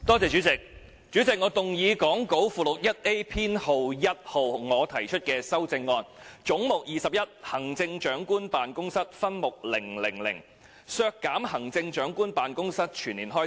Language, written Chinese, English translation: Cantonese, 主席，我動議講稿附錄 1A 中，編號1由我提出的修正案，關於"總目 21― 行政長官辦公室"分目 000， 削減行政長官辦公室全年運作開支。, Chairman I move Amendment No . 1 as set out in Appendix 1A to the Script which is proposed by me to subhead 000 of Head 21―Chief Executives Office . It reduces the annual operating expenses of the Chief Executives Office